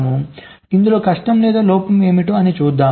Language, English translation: Telugu, so what was the difficulty or the drawback